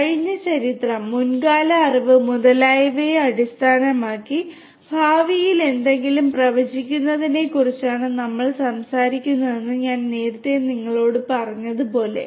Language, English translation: Malayalam, As I told you earlier that we are talking about we are talking about predicting something in the future based on the past history, past knowledge and so on